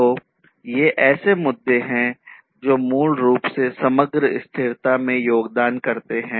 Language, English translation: Hindi, So, these are the issues that basically contribute to the overall sustainability